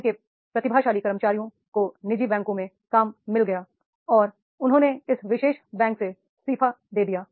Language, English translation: Hindi, The talented employees of the organization, of the bank, they got the job into the private banks and they resigned from this particular bank